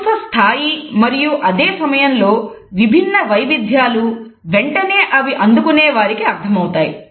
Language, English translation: Telugu, The level of appreciation and at the same time different variations are also immediately understood by the receiver